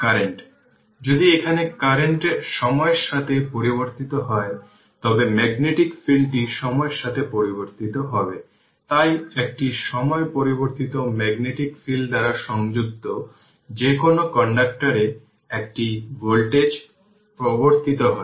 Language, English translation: Bengali, If the current is varying with time that you know then the magnetic field is varying with time right, so a time varying magnetic field induces a voltage in any conductor linked by the field this you know